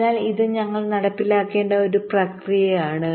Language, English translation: Malayalam, so this is a process we need to carry out